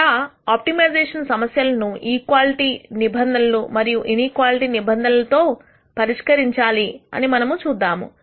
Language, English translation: Telugu, We will see how we can solve optimization problems with equality constraints and inequality constraints